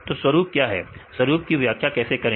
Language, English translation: Hindi, So, what is the pattern, how to define a pattern